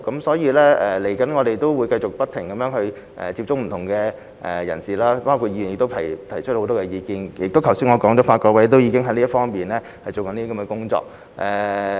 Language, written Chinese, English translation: Cantonese, 所以，我們接下來會繼續不停接觸不同的人士，包括議員也提出很多意見，而我剛才亦提到，法改會已經進行有關工作。, So our next step is to continuously get in touch with different people including Members who have provided a lot of input . As I also said earlier LRC has been carrying out the relevant work